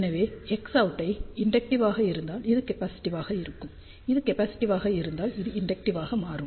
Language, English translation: Tamil, So, if X out is inductive, this will be capacitive; if this is capacitive, this will become inductive